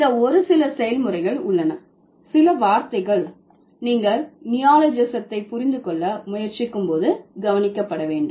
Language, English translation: Tamil, These are just a few processes, some of the words which you can, which you should notice when you are trying to understand neologism